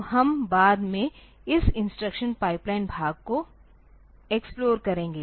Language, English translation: Hindi, So, we will explore this instruction pipeline part later